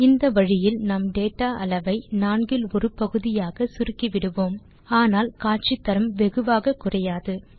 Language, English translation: Tamil, This way we will be reducing the data to one fourth of the original data but losing only a little of visual information